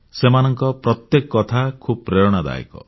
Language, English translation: Odia, Each and everything about them is inspiring